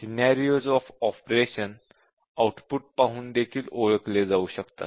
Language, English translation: Marathi, And the scenarios of operation can also be identified by looking at the output